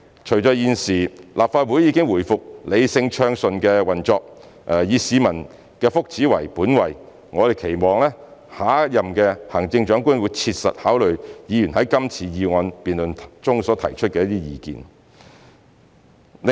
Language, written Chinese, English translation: Cantonese, 隨着現時立法會已回復理性暢順的運作，以市民福祉為本位，我們期望下任行政長官會切實考慮議員在今次議案辯論所提出的意見。, With the Council going back to rational and smooth operation and being geared to the well - being of the general public we hope that the next Chief Executive can take into serious consideration Members opinions raised in this motion debate